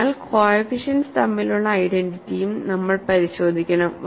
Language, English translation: Malayalam, So, we would also look at the identity between the coefficients